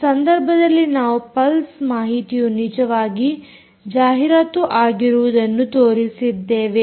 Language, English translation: Kannada, in this demonstration we have shown that this pulse information is actually being advertised